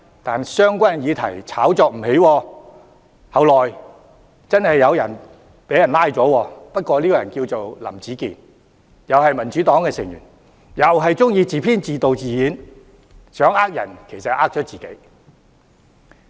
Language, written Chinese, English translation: Cantonese, 但相關議題炒作不起，而後來確實有人被捕，但那個人叫林子健，同屬民主黨成員，同樣喜歡自編、自導、自演，想騙人其實騙了自己。, But such claims failed to hit the headlines despite all the hype . Someone was indeed arrested subsequently but that person is called Howard LAM who also happens to be a member of the Democratic Party with a liking for performances scripted directed and acted by himself whose attempt to deceive others turned out to be self - deceit